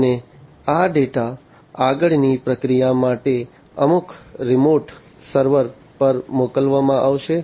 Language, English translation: Gujarati, And these data are going to be sent across you know to some remote server, for further processing